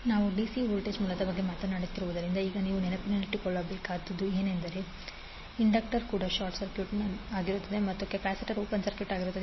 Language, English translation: Kannada, Now you have to keep in mind since we are talking about the DC voltage source it means that inductor will also be short circuited and capacitor will be open circuited